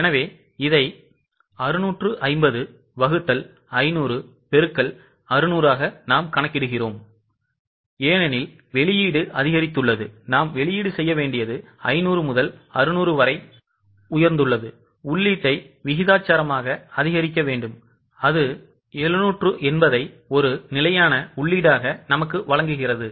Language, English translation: Tamil, So, I have tried to calculate it here 650 divided by 500 into 600 because the output has increased, we need to the output has gone up from 500 to 600, we need to increase the input has gone up from 500 to 600, we need to increase the input proportionately which gives us 780 as a standard input